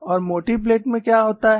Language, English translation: Hindi, And what happens in a thick plate